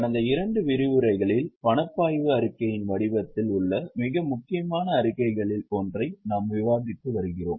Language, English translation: Tamil, In last two sessions, we have been in the very important statements that is in the form of cash flow statement